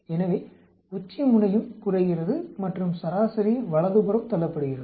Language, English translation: Tamil, So, the peak also goes down and the mean gets pushed to the right